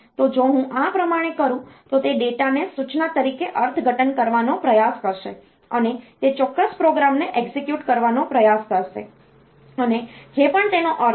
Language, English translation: Gujarati, So, if I do like this then it will try to interpret that data as instruction and it will try to do execute that particular program whatever be it is meaning